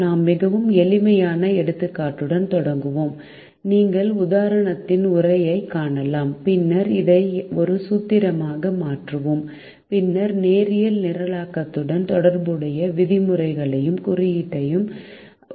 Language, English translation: Tamil, we start with a very simple example you can see the text of the example, and then we convert this into a formulation and then we define the terms and notation related to linear programming